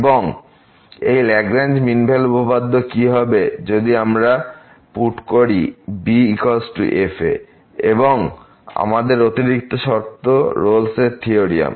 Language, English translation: Bengali, And, what will happen to this Lagrange mean value theorem if we put is equal to , the additional condition what we have for the Rolle’s theorem